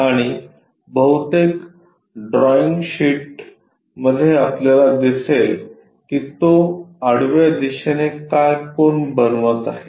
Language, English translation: Marathi, And in most of the drawing sheets you will see with respect to horizontal what is the angle it is making